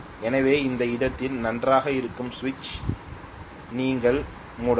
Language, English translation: Tamil, So you can close the switch that is fine at that point